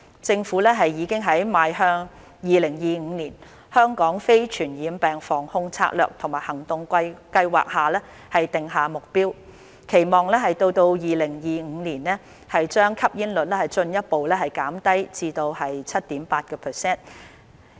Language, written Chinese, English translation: Cantonese, 政府已在《邁向 2025： 香港非傳染病防控策略及行動計劃》訂下目標，期望到2025年把吸煙率進一步減至 7.8%。, The Government has set a target in the Towards 2025 Strategy and Action Plan to Prevent and Control Non - communicable Diseases in Hong Kong to further reduce smoking prevalence to 7.8 % by 2025